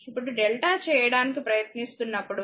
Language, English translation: Telugu, Now, delta when you are trying to make it delta right